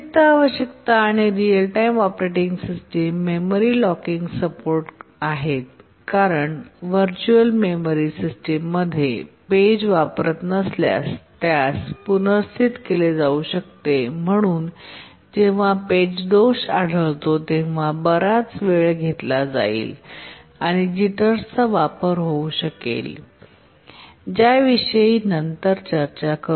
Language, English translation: Marathi, Additional requirements on real time operating systems are memory locking support because in a virtual memory system the page is replaced if it is not used and therefore when a page fault occurs it can take a long time and introduce jitters